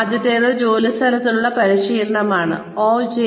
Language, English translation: Malayalam, The first one is, on the job training, OJT